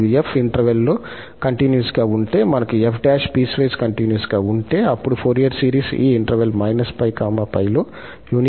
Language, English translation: Telugu, And, if f is continuous in the interval and then f prime is piecewise continuous, then the Fourier series converges uniformly on this interval minus pi to pi